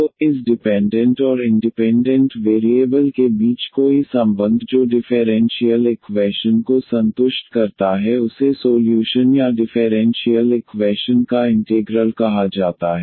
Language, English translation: Hindi, So, any relation between this dependent and independent variable which satisfies the differential equation is called a solution or the integral of the differential equation